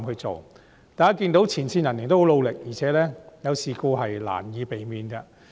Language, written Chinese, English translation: Cantonese, 大家也看到前線人員十分努力，而且事故是難以避免的。, We have seen the hard work of the frontline staff . Moreover it is hard to avoid incidents